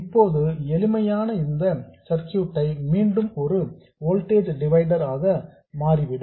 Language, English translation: Tamil, It turns out that the simplest circuit is again a voltage divider